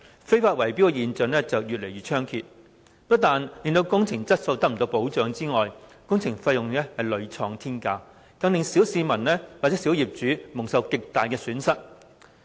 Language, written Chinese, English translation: Cantonese, 非法圍標現象越來越猖獗，不但令工程質素得不到保障，工程費用更屢創天價，令小市民和小業主蒙受極大損失。, Owing to increasingly rampant illegal bid - rigging not only is the quality of maintenance works lacks assurance but astronomical prices have repeatedly been paid for such works . Hence the ordinary masses and small property owners have suffered great losses